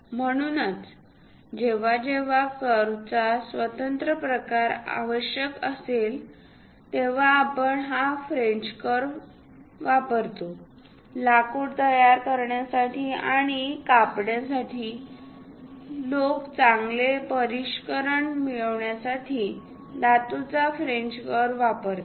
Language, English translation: Marathi, So, whenever a free form of curve is required, we use these French curves; even for wood making and cutting, people use metallic French curves to get nice finish